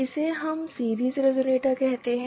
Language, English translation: Hindi, This is what we called as the series resonator